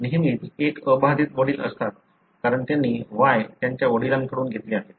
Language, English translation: Marathi, There is always an unaffected father, because they have gotten their Y from their father